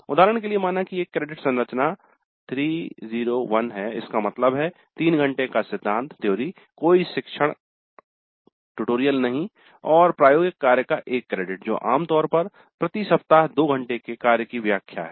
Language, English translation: Hindi, For example the credit structure may be 3 0 1, that means 3 hours of theory, no tutorials and one credit of laboratory work which typically translates to two hours of work per week